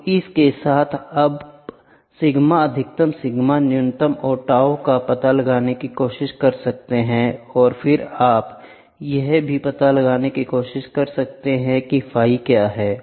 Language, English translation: Hindi, So, with this, you can try to find out sigma max sigma min tau and then you can also try to find out what is the phi, ok